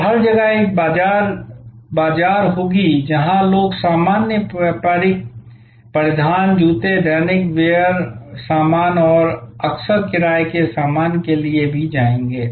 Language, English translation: Hindi, So, everywhere there will be a market place, where people will go for general merchandise apparel, shoes, daily ware stuff and often also for groceries